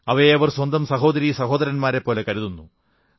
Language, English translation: Malayalam, They even treat them like their brothers and sisters